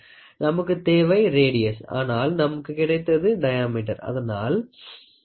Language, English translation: Tamil, So, we are asking the radius and what you get here is diameter, so, 3